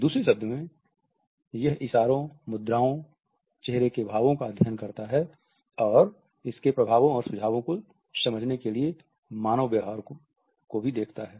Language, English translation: Hindi, In other words, it studies gestures, postures, facial expressions and also looks at the human gate to understand its implications and suggestions